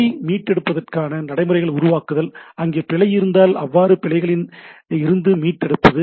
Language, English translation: Tamil, Establishing agreement on procedures for error recovery if there is a error how to recover from the reporting recovery from the error